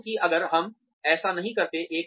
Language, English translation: Hindi, Because, if we do not, do that